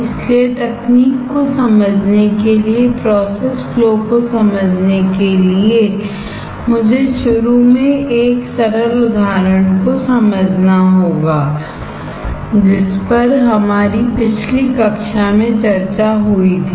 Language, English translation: Hindi, So, to understand the technique, to understand that process flow I have to understand initially a simple example which was discussed in our last class